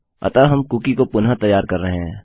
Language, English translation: Hindi, So we are resetting a cookie